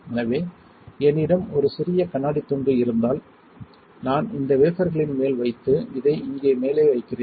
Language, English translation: Tamil, So, if I have a small glass piece I put on top of the wafer like this and put this on top of here